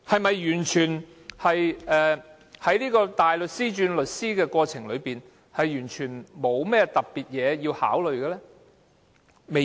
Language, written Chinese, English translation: Cantonese, 在大律師轉業為律師的過程中，是否完全沒有需要特別考慮的地方？, In the process of a barrister becoming a solicitor is there nothing at all that requires special consideration?